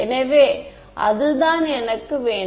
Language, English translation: Tamil, So, that is what I want